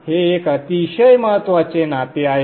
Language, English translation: Marathi, Now this is a very important relationship